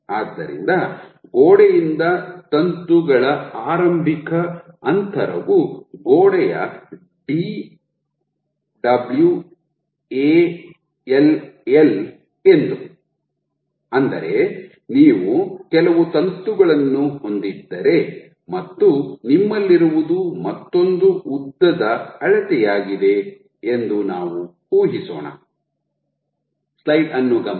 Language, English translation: Kannada, So, let us assume the initial distance of the filament from the wall this distance is D of wall and what you have another length scale which is that if you have a filament of certain